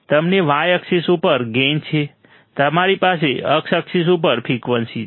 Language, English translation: Gujarati, You have gain on y axis; you have frequency on x axis